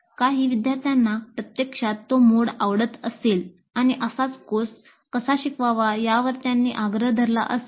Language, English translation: Marathi, Some of the students may actually like that mode and they may insist that that is how the courses should be taught